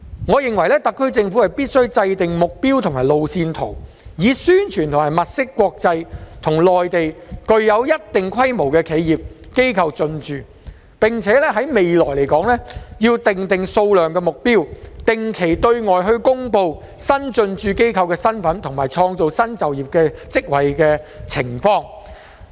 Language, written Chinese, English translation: Cantonese, 我認為特區政府必須制訂目標和路線圖，以宣傳及物色國際與內地具有一定規模的企業機構進駐，並且在未來要訂定數量和目標，定期對外公布新進駐機構的身份及創造新就業職位的情況。, I think that the SAR Government should formulate the objectives and a road map in order to publicize and identify sizeable international and Mainland enterprises to come and establish their operations in Hong Kong . And the Government should set targets in numbers and objectives in the future and make periodical announcements of the identities of institutions and firms setting up in the Park as well as the job creation news